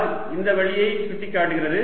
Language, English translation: Tamil, r is pointing this way and we have already seen that